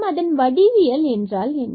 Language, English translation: Tamil, So, what do we mean here in geometry now